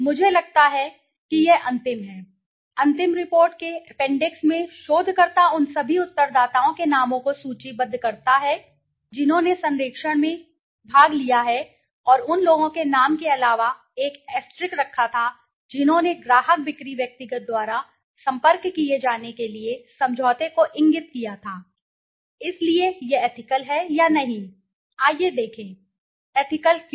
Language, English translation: Hindi, I think this is the last, in the appendix of the final report the researcher lists the names of all respondents who took part in the survey and places an asterisk besides the name of those who indicated agreement to be contacted by the client sale personal, so is this ethical or not, let's see, ethical, why